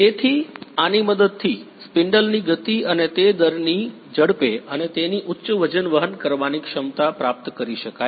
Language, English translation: Gujarati, So, with the help of this spindle speed and the rate at which speed and its high weight carrying capacity